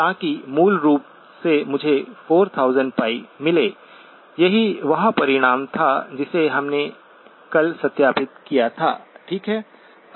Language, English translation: Hindi, So that basically gives me 4000pi, that was the result that we verified yesterday, okay